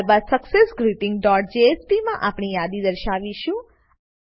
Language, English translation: Gujarati, Then in successGreeting dot jsp we will display the list